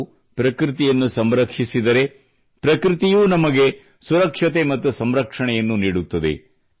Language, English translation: Kannada, when we conserve nature, in return nature also gives us protection and security